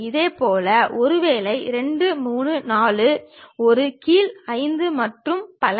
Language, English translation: Tamil, Similarly, 1 maybe, 2, 3, 4, a bottom 5 and so on